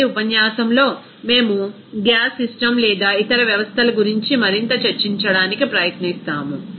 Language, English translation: Telugu, In the next lecture, we will try to discuss more about gas system or other systems